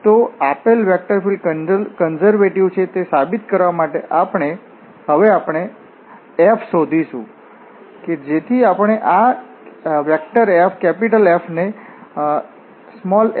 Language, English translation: Gujarati, So to prove that this given vector field is conservative, we have to now find f, such that we can write this F as the gradient of small f